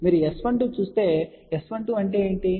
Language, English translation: Telugu, But if you look at S 12, what is S 12